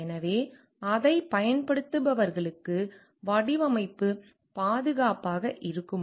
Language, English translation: Tamil, So, like will the design be safe for those who are using it